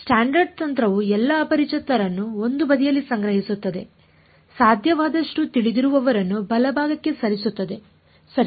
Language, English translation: Kannada, Standard technique gather all the unknowns on one side move as many knowns as possible to the right hand side right